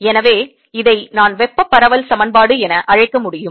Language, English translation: Tamil, ok, so this is the i can call heat diffusion equation